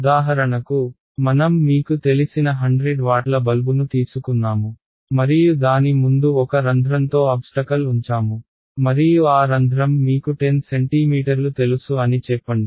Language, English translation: Telugu, So for example, I take a you know 100 watt bulb and I put in front of it barrier with a hole in it and that hole is let us say you know 10 centimeters